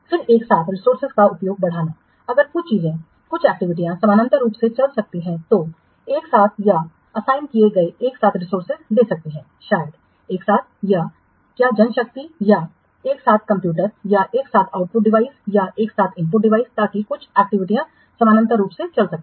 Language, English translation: Hindi, some things some activities can run parallelly, give concurrent or assign concurrent resources, maybe concurrent what may empower or concurrent computers or concurrent output devices or concurrent input devices so that some activities can run parallel